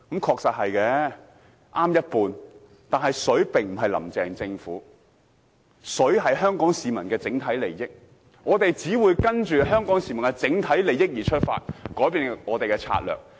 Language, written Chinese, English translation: Cantonese, 他只說對一半，但水並非指"林鄭"政府，而是香港市民的整體利益，我們只會跟隨香港市民的整體利益而出發，改變我們的策略。, He is only half correct in saying so for water does not refer to the Carrie LAM Government but the overall interests of Hong Kong people . We will change our strategies having regard to the overall interests of Hong Kong people